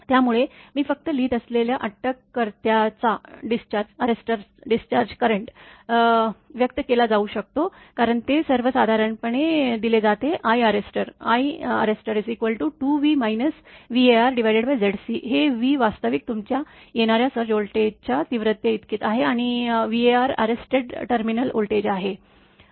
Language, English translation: Marathi, So, therefore, the discharge current of an arrester just I am writing can be expressed as it is generally given as V is equal to, I arrester, lightning arrester is equal to 2 V minus V a r upon Z c, that is V actual is equal to magnitude of your incoming surge voltage, and V a r is arrested terminal voltage